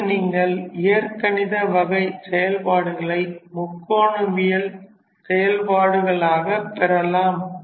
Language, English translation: Tamil, Next you can have functions of type algebraic multiplied by trigonometrical functions